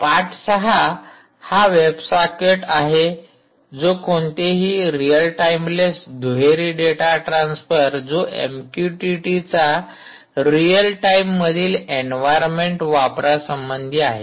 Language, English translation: Marathi, chapter six is web socket anything with respect to real timeless bidirectional data transfer, ah, with respect to use of m q t t in real time environments